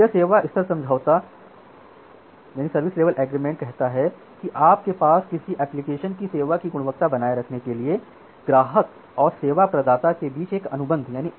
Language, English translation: Hindi, So, this service level agreement says that you have an agreement or a contract between the customer and the service provider to maintain the quality of service of an application